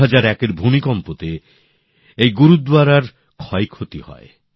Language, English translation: Bengali, During the 2001 earthquake this Gurudwara too faced damage